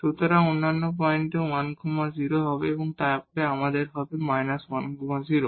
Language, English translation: Bengali, So, on other points will be 1 0 and then we will have a minus 1 and 0